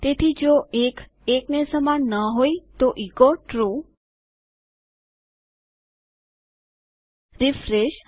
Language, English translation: Gujarati, So if 1 is not equal to 1 echo True Refresh